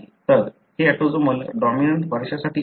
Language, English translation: Marathi, So, this is for autosomal dominant inheritance